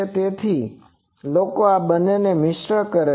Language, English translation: Gujarati, So, people mix these two